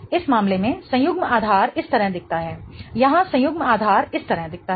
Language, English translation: Hindi, The conjugate base in this case looks like this